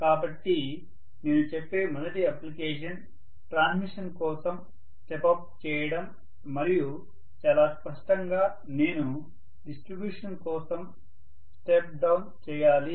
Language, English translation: Telugu, So first application I would say is stepping up for transmission and very clearly on the other side I have to step down for distribution